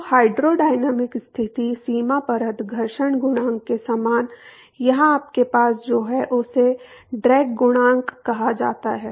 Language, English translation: Hindi, So, the hydrodynamic condition boundary layer, similar to friction coefficient: here what you have is called the drag coefficient